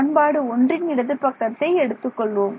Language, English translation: Tamil, So, let us take the left hand side of equation 1, what will I get